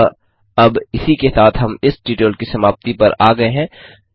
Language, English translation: Hindi, So now, This brings us to the end of this tutorial